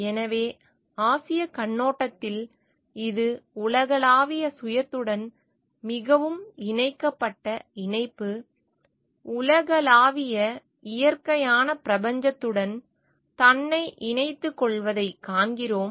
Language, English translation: Tamil, So, from the Asian perspective we see it is more connected connectivity connection with the universal self, connection of oneself with the universal nature cosmos